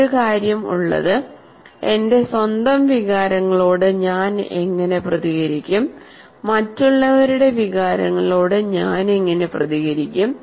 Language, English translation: Malayalam, And so one of the thing is how do I respond to my own emotions and how do I respond to the others emotions